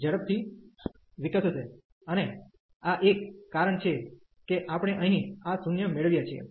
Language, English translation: Gujarati, This g will be growing faster, and that is a reason here we are getting this 0